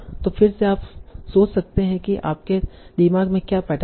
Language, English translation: Hindi, So we'll think about what are the patterns